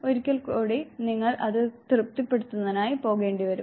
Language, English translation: Malayalam, Once again you will have to go for gratification of it